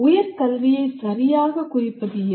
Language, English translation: Tamil, What exactly constitutes higher education